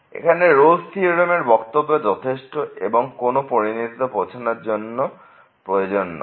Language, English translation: Bengali, So, here the hypothesis of the Rolle’s Theorem are sufficient, but not necessary for the conclusion